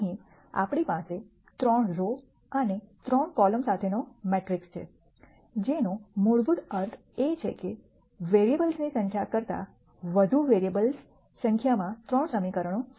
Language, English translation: Gujarati, Here we have a matrix with 3 rows and 2 columns, which basically means that there are 3 equations in 2 variables number of equations more than number of variables